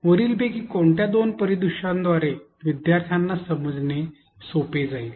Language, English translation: Marathi, Which of the two scenarios to your think will be easily processed by the students